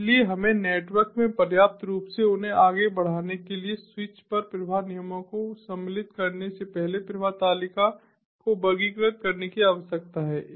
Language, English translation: Hindi, so so we need to classify the flows before inserting the flow rules at the switches to adequately forward them in the network